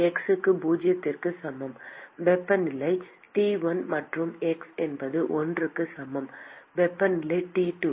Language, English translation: Tamil, For x equal to zero, the temperature is T 1 and x is equal to l, the temperature is T 2